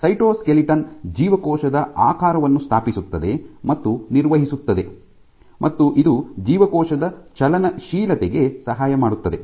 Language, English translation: Kannada, So, the cytoskeleton establishes and maintains the cell shape it aids in cell motility